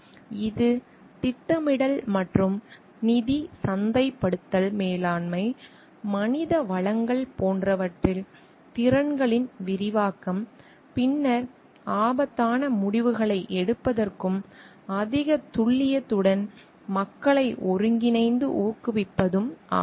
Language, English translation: Tamil, Like, it an expansion of skills in like scheduling and finances, marketing managing, human resources then in coordinating and motivating people abilities to make risky decisions and with high precisions